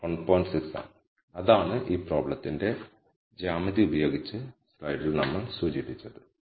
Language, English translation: Malayalam, 6 which is what we had indicated in the slide with the geometry of this problem